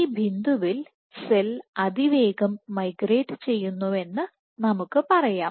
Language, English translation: Malayalam, So, at this point let us say the cell is migrating fast